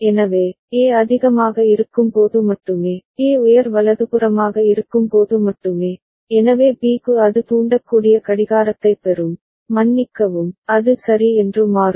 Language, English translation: Tamil, So, only when A is high, only when A is high right, so B will get the clock for which it will trigger, it will sorry it will toggle ok